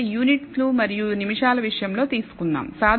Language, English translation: Telugu, So, let us take the case of the units and minutes